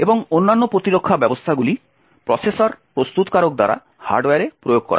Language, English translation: Bengali, And other defense mechanism is implemented in the hardware by the processor manufactures